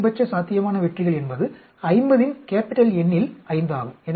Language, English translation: Tamil, The maximum successes possible, is 5 in N of 50